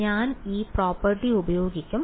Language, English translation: Malayalam, I will just use this property right